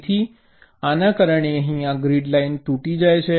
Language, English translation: Gujarati, so this causes this grid line to be broken